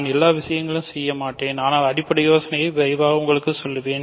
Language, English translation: Tamil, So, I won’t do all the details, but quickly tell you the basic idea